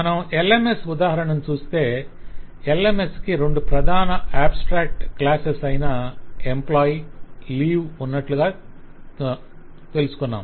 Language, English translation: Telugu, So if we just refer to our LMS example, So LMS, as we have seen, have two major abstract classes: employee and leave